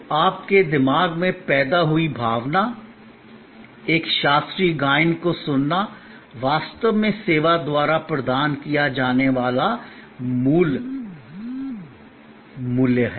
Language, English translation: Hindi, So, the emotion evoked in your mind, hearing a classical recital is actually the core value deliver by the service